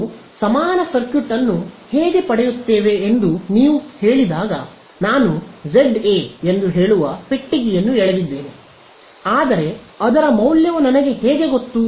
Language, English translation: Kannada, No when you say how do we get the equivalent circuit I have drawn a box which say Za, but how do I know the value of Za is